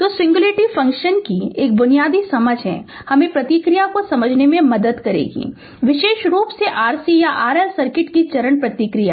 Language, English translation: Hindi, So, a basic understanding of the singularity function will help us to make sense of the response specially the step response of RC or RL circuit right